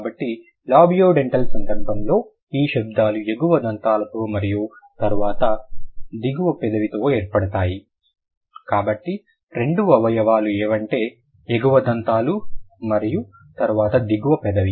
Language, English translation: Telugu, Then you have labiodentals where you have the upper tith and then the lower lip, upper teeth and then the lower lip